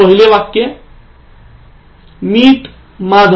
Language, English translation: Marathi, Now first one, Meet Madhav